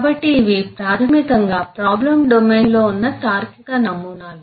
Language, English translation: Telugu, so these are basically the logical models that exist in the problem domain